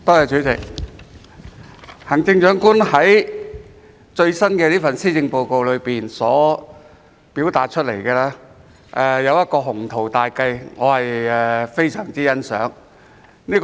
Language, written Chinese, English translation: Cantonese, 主席，行政長官在最新這份施政報告表達的一項雄圖大計，我非常欣賞。, President I very much appreciate the ambitious plan stated by the Chief Executive in this latest Policy Address